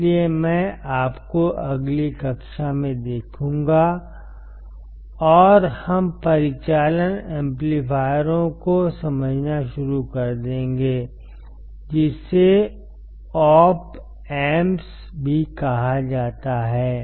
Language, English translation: Hindi, So, I will see you in the next class, and we will start understanding the operational amplifiers, which is also call the Op Amps